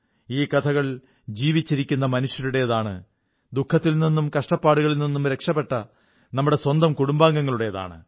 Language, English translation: Malayalam, These stories are of live people and of our own families who have been salvaged from suffering